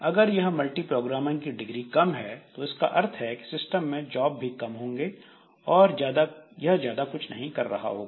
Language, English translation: Hindi, Now, if this degree of multiproprogramming is low, that is we have got less number of jobs in the system, naturally the system does not have much thing to do